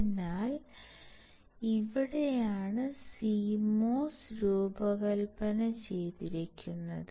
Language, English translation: Malayalam, So, here this is how the CMOS is designed